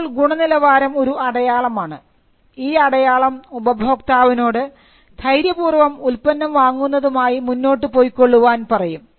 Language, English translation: Malayalam, Now, quality is a signal which tells the customer that the customer can go ahead and buy the product